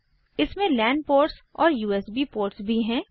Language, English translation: Hindi, It also has a lan port and USB ports